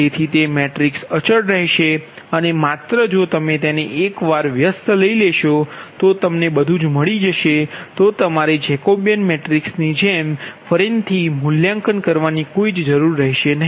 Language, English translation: Gujarati, so it is a constant matrices and only if you invert them once, and thats all what you need, not evaluated, you can led jacobian matrix, right